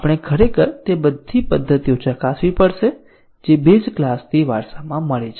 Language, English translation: Gujarati, We have to test actually all those method which have been inherited from base class